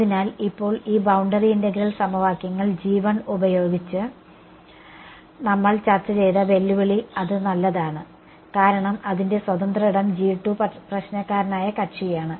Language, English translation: Malayalam, So, now, the challenge that we have discussed using these boundary integral equations is that g 1 is fine because its free space g 2 is the problematic guy right